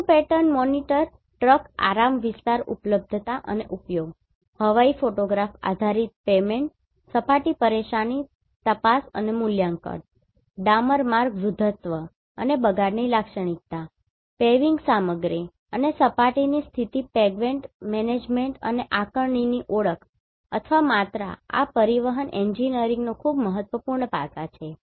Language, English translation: Gujarati, Extraction of road pattern monitor truck rest area availability and utilization, aerial photograph based pavement surface distress detection and evaluation, spectral characteristic of asphalt road aging and deterioration, identification or quantification of paving material and surface condition pavement management and assessment